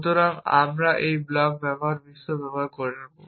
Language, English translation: Bengali, So, we will use this blocks world